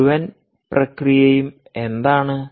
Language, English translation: Malayalam, what is the whole process